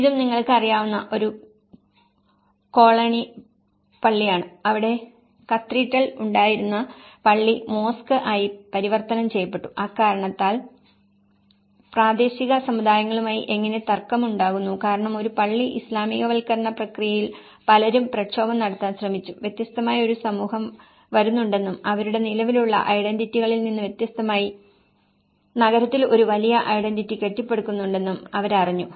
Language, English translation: Malayalam, And this is also a cologne mosque you know, there is a cathedral which has been converted as a mosque and how there is a conflict with the local communities because many people have tried to agitate not to get a mosque the Islamization process, they are trying to little afraid of that there is a different community coming and there is a big identities built up in the city in contrast with their existing identities